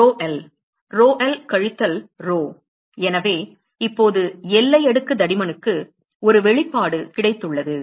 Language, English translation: Tamil, The rho l; rho l minus rho so; so, now, we have got an expression for the boundary layer thickness